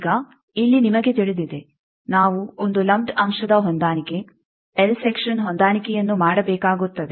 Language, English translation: Kannada, Now, here you know, we will have to do a lumped element matching L Section matching